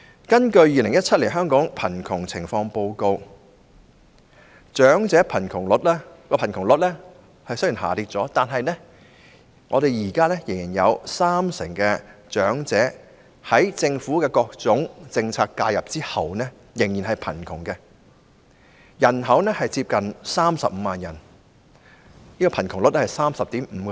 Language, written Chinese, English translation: Cantonese, 根據《2017年香港貧窮情況報告》，長者貧窮率雖然下跌，但現時有三成長者在政府各種政策介入後仍屬貧窮，人數接近35萬人，貧窮率是 30.5%。, According to the Hong Kong Poverty Situation Report 2017 although the elderly poverty rate has dropped 30 % of the elderly people still live in poverty now after various forms of policy intervention by the Government